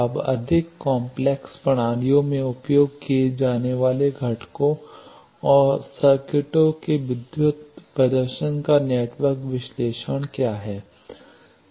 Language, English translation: Hindi, Now, what is network analysis of electrical performance of components and circuits used in more complex systems